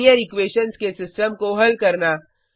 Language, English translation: Hindi, Solve the system of linear equations